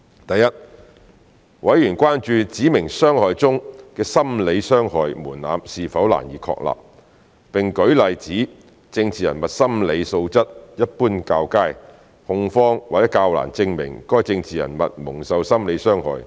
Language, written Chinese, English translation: Cantonese, 第一，委員關注"指明傷害"中的心理傷害門檻是否難以確立，並舉例指政治人物心理素質一般較佳，控方或較難證明該政治人物蒙受心理傷害。, First members were concerned about the difficulty in establishing the threshold of psychological harm under the definition of specified harm . They cited the example that politicians were generally of a better mental quality and therefore it might be more difficult for the prosecution to prove that a politician had suffered psychological harm